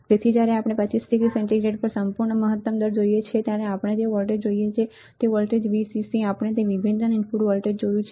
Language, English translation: Gujarati, So, when we look at the absolute maximum ratings at 25 degree centigrade, what we see supply voltage right Vcc we have seen that differential input voltage